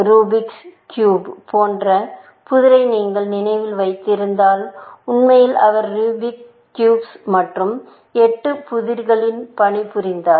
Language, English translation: Tamil, If you remember the puzzle like Rubics cube, in fact, he was working on Rubics cube and the eight puzzles